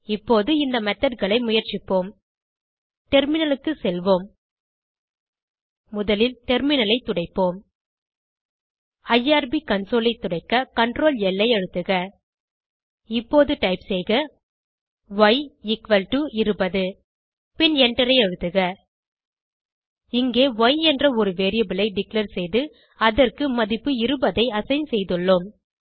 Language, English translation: Tamil, Go to the terminal Lets clear the terminal first Press Ctrl L to clear the irb console Now Type y equal to 20 and Press Enter Here we have declared a variable called y and assigned a value 20 to it